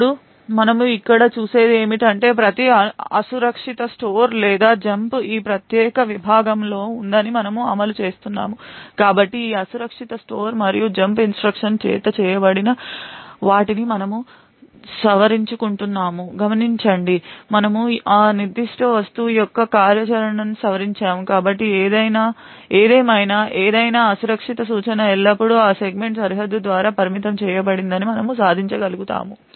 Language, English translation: Telugu, Now what we see over here is that we are enforcing that every unsafe store or jump is within this particular segment, so note that we are modifying what is done by this unsafe store and jump instruction we are modifying the functionality of that particular object, so however we are able to achieve that any unsafe instruction is always restricted by that segment boundary